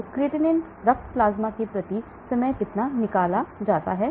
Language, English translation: Hindi, So how much of creatinine gets removed per time from the blood plasma